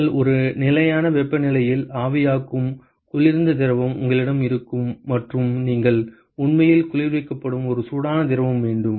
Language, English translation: Tamil, You will have a cold fluid which is evaporating you can which is at a constant temperature and you have a hot fluid which is actually being cooled